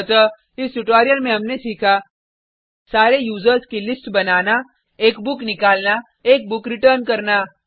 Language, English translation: Hindi, So, In this tutorial we have learnt: To list all the users To fetch a book To return a book